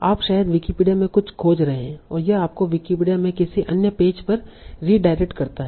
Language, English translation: Hindi, You are searching for something in Wikipedia and it redirects you to some other page in Wikipedia